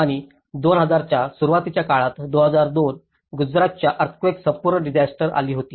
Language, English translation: Marathi, And in the early 2000 like 2002 when the whole disaster has been struck in Gujarat earthquake